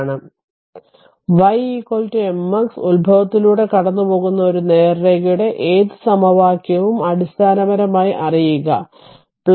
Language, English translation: Malayalam, So, basically you know that any equation of a straight line passing through the origin y is equal to mx plus c